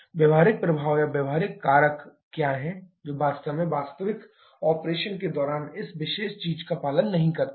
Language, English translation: Hindi, What are the practical effect or the practical factors that actually do not obey this particular thing during real operation